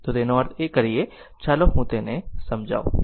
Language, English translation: Gujarati, So, let that means, let me clear it